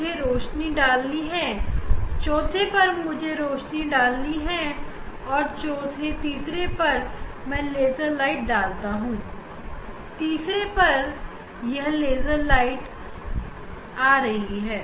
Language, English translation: Hindi, I have put light on the fourth one I have put light on the fourth third one I put light laser light on the third one